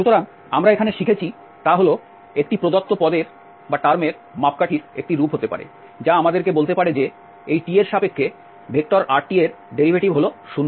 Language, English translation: Bengali, So, what we learned here that there could be a form of parameterization of a given term, which may tell us that the derivative of this r with respect to t is 0